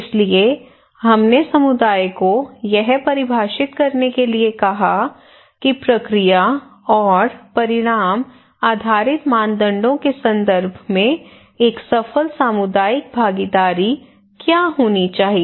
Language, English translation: Hindi, So we asked the community to define what a successful community participation should have in terms of process and outcome based criteria